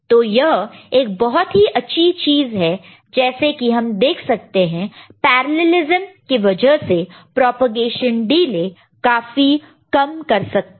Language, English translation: Hindi, So, that is a clever use of this thing and by which we can see this because of the parallelism the propagation delay can be reduced